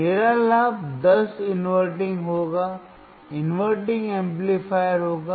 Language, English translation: Hindi, My gain would be 10 inverting, inverting amplifier